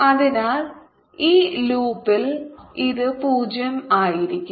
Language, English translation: Malayalam, so in this loop this should be zero